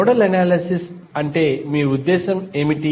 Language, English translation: Telugu, What do you mean by nodal analysis